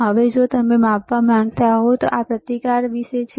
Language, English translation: Gujarati, Now, if we if you want to measure so, this is about the resistance